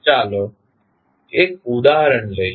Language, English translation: Gujarati, Let us, take one example